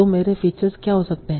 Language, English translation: Hindi, So what can be features